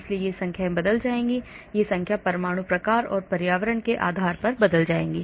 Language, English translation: Hindi, so these numbers will change, these numbers will change depending upon the atom type and the environment